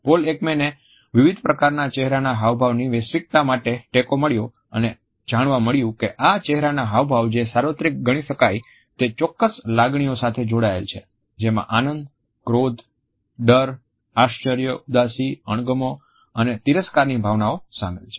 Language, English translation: Gujarati, Paul Ekman found support for the universality of a variety of facial expressions and found that these facial expressions which can be considered as universal are tied to particular emotions which include the emotions of joy, anger, fear, surprise, sadness, disgust and contempt